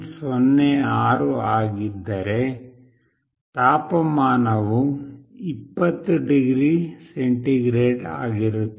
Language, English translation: Kannada, 06 then the temperature is 20 degree centigrade